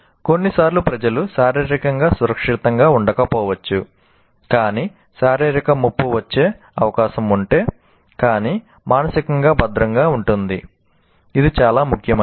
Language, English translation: Telugu, If sometimes people may physically may not feel safe, but if there is a physical, likely to be a physical threat, obviously the entire attention goes, but emotionally secure